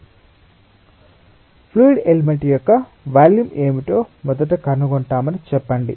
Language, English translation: Telugu, so let us say that we find out first what is the volume of the fluid element